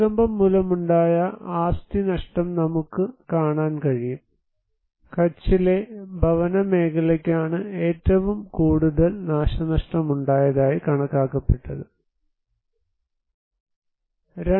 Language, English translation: Malayalam, And you can see the asset loss due to earthquake, housing sector is one of the most affected area estimated damage assessment for housing in Kutch was that there were 2